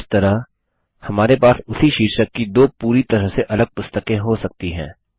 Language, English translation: Hindi, This way, we can have two completely different books with the same title